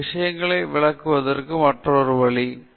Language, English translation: Tamil, This is another way in which you can illustrate things